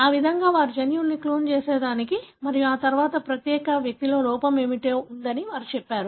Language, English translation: Telugu, That is how they cloned gene and then they went on to say what is the defect in that particular individual